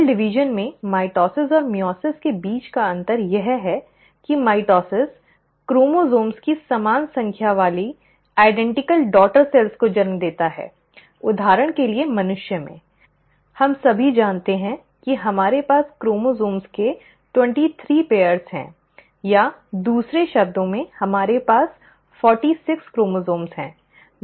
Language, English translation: Hindi, The difference between mitosis and meiosis in cell division is that mitosis always gives rise to identical daughter cells with same number of chromosomes; for example in humans, we all know that we have twenty three pairs of chromosomes, or in other words we have forty six chromosomes